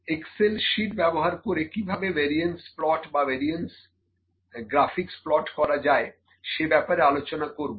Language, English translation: Bengali, The variance plots, I can see how can we plot variance graphics using Excel sheet